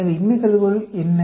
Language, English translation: Tamil, So, what is the null hypothesis